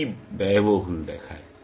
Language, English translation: Bengali, E looks expensive